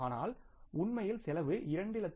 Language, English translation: Tamil, But if actually the cost would have been 2